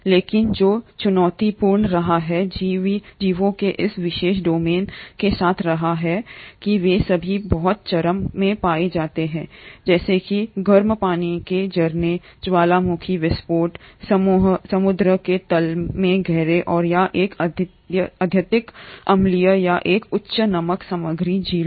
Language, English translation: Hindi, But what has been challenging with this particular domain of living organisms is that they all are found in very extreme habitats, such as the hot water springs, the volcanic eruptions, deep down in ocean beds and or an highly acidic or a high salt content lakes